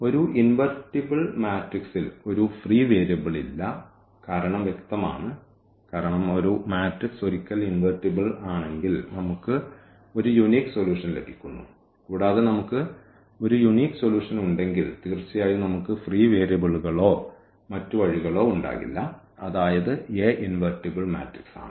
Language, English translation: Malayalam, An invertible matrix will have no free variable the reason is clear because once the matrix invertible we get actually unique solution and if we have a unique solution definitely we will not have a free variables or other way around if we observe that there is no free variable; that means, this A is also invertible